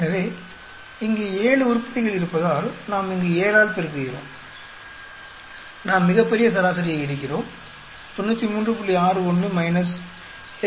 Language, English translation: Tamil, So, what do we do we multiply by 7 here because there are 7 items here, we take the grand average is 93